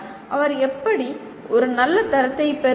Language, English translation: Tamil, And how does he get a good grade